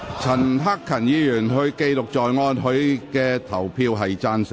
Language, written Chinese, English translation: Cantonese, 陳克勤議員的表決意向為"贊成"。, Mr CHAN Hak - kan voted in favour of the motion